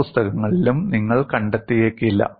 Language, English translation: Malayalam, You may not find in many books